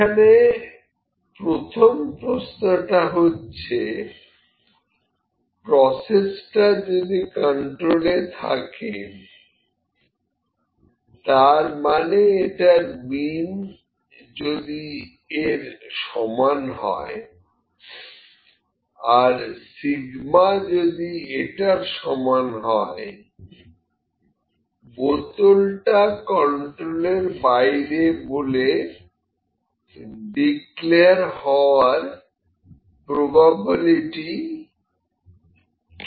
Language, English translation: Bengali, Now, first question is, if the process is in control that is mean is equal to this and sigma is equal to this, find the probability that bottle will be declared out of control